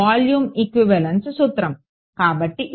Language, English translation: Telugu, Volume equivalence principle; so, this is